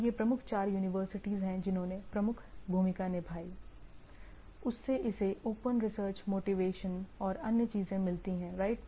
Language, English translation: Hindi, So, this is the major four things came into play and it what we see it, it gets a open research motivation other things right